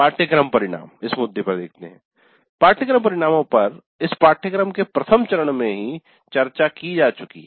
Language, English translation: Hindi, Course outcomes were discussed upfront right in the very first class of the course